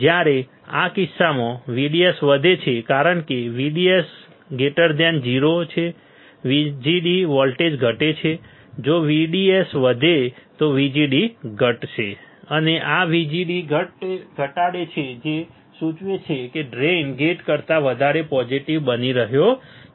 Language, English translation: Gujarati, In this case since VDS increases because VDS is greater than 0 right VGD volt decrease correct if VDS increases VGD would decrease and this VGD reduces which implies that drain is becoming more positive than gate